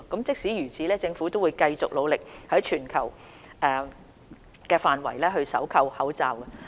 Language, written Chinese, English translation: Cantonese, 即使如此，政府仍會繼續努力，在全球範圍搜購口罩。, That said the Government will continue to work hard on sourcing masks globally